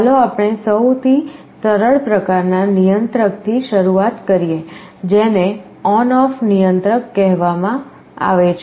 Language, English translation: Gujarati, Let us start with this simplest kind of controller called ON OFF controller